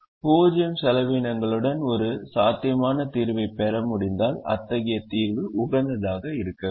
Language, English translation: Tamil, if we are able to get a feasible solution with zero cost, then such a solution has to be optimum